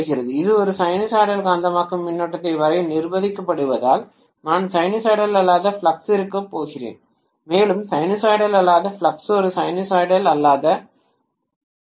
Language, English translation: Tamil, Because it is forced to draw a sinusoidal magnetizing current, I am going to have non sinusoidal flux and that non sinusoidal flux is going to induce a non sinusoidal emf that non sinusoidal emf and sinusoidal voltage that I am applying cannot really balance each other